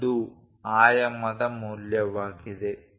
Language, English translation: Kannada, 0 is that dimension value